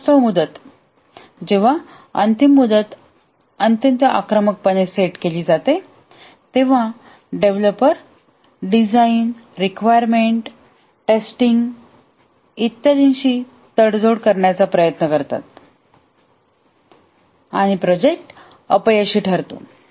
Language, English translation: Marathi, When the deadline is very aggressively set, the developers try to compromise on the design requirements, testing and so on and the project ends up as a failure